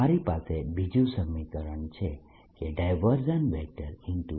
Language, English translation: Gujarati, that is one equation i have